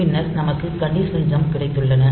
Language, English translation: Tamil, Then we have got conditional jumps